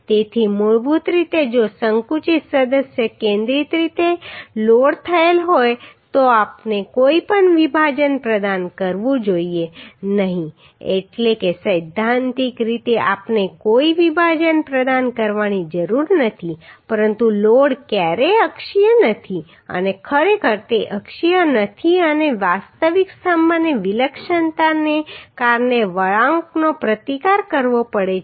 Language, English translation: Gujarati, So basically if a compressive member is loaded concentrically uhh we should not provide any splice means theoretically we do not need to provide any splice but load is never axial and truly it is not axial and real column has to resist the bending due to the eccentricity of the load therefore we have to provide the splice